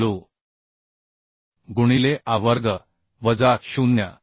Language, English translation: Marathi, 5 w a square minus 0